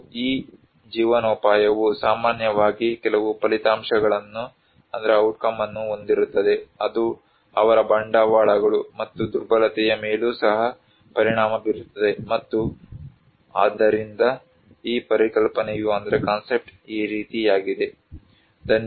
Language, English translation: Kannada, And that livelihood generally have some outcome which also impacted their capitals and also again the vulnerability, so this concept is this way and thank you very much for listening